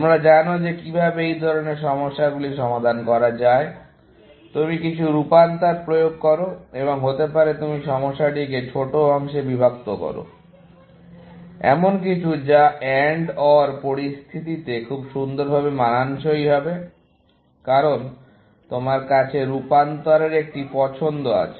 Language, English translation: Bengali, You know how to solve such problems is that basically, you apply some transformations and may be, you break up the problem into smaller parts, something that would fit very nicely into the AND OR situations, because you have a choice of transformations to make